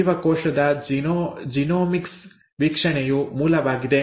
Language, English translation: Kannada, The source is Genomics view of the cell